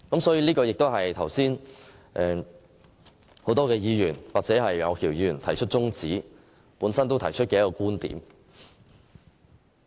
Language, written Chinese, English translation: Cantonese, 這亦是剛才很多議員支持楊岳橋議員提出中止待續的其中一個論點。, This is one of the arguments raised by many Members just now in support of Mr Alvin YEUNGs adjournment motion . Everyone should pause and think